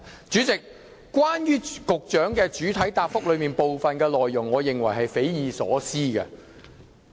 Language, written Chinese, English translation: Cantonese, 主席，我認為局長主體答覆的部分內容是匪夷所思的。, President I think part of the Secretarys main reply is inconceivable